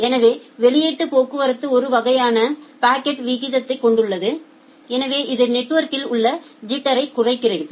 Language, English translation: Tamil, So, output traffic has a constant packet rate so it reduces the jitter in the network